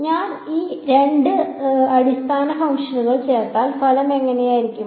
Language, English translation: Malayalam, Supposing I add these two basis functions what will the result look like